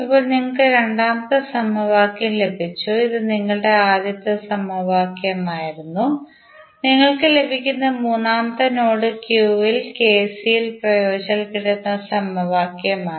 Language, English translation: Malayalam, Now, you have got the second equation this was your first equation, the third which you will get is using KCL at node Q